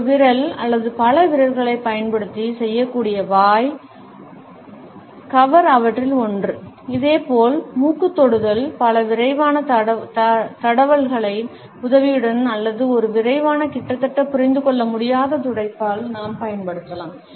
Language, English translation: Tamil, The mouth cover is one of them which can be done using a single finger or several fingers; similarly, nose touch, which we can use either with the help of several quick rubs or maybe one quick almost imperceptible rub